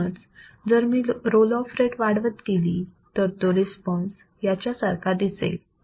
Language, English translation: Marathi, So if I keep on increasing the roll off rate, this response would be similar to this